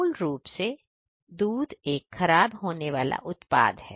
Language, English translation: Hindi, Basically milk is a perishable product